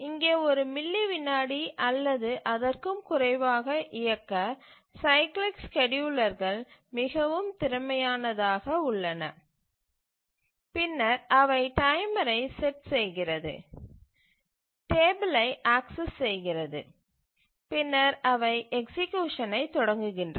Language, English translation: Tamil, So, here the cyclic schedulers are very efficient run in just a millisecond or so and then they just set the timer, access the table and then they start the education